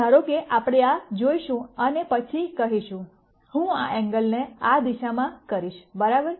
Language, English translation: Gujarati, So, supposing we look at this and then say; I am going to do this angle in this direction right